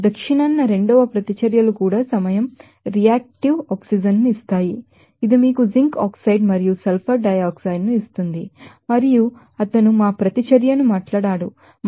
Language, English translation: Telugu, Even second reactions in south by to lag in time reactive oxygen it will give you a zinc oxide and sulfur dioxide and he talked our reaction is 2